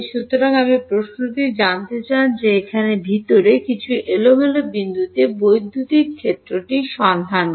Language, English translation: Bengali, So, you want to find out the question is to find out the electric field at some random point inside here like this